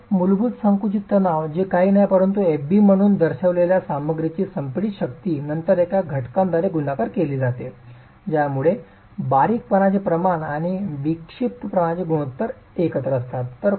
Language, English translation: Marathi, The basic compressive stress which is nothing but the compressive strength of the material denoted as FB is then multiplied by a factor that accounts for the slenderness ratio and the eccentricity ratio together